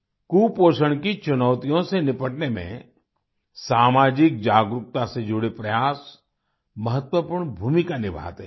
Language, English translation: Hindi, Efforts for social awareness play an important role in tackling the challenges of malnutrition